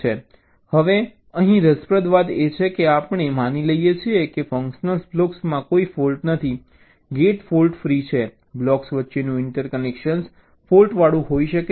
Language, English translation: Gujarati, right now, here the interesting thing is that we assume that the functional blocks do not contain any faults, the gates are fault free, the interconnection between the blocks can be faulty